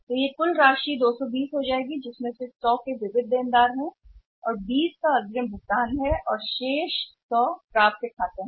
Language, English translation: Hindi, So, this total amount will become 220 right out of 220, 100 is the sundry debtors and 20 is the advance payments and remaining 100 is the accounts receivable